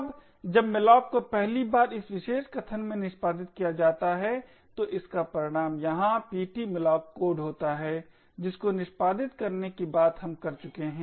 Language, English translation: Hindi, Now when malloc first gets executed in this particular statement over here it results in ptmalloc code that we have been talking about to get executed